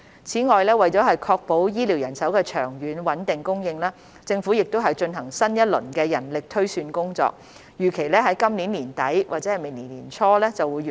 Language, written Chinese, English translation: Cantonese, 此外，為確保醫療人手的長遠穩定供應，政府正進行新一輪人力推算工作，預期於今年年底或明年年初完成。, Besides to ensure a steady supply of healthcare manpower in the long run the Government is conducting a new round of manpower projection exercise which is expected to be completed by end of this year or early next year